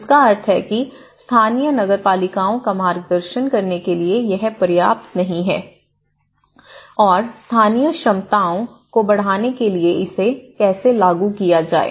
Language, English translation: Hindi, So, which means it is not adequate enough to guide the local municipalities how to enforce the local capacity to enhance the local capacities